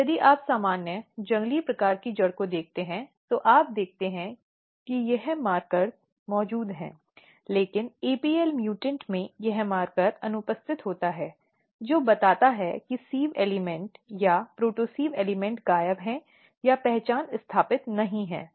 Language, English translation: Hindi, And if you look in normal wild type root you see this markers are present, but in apl mutant this markers are absent which tells that the sieve elements or protosieve elements are missing or there identity is not established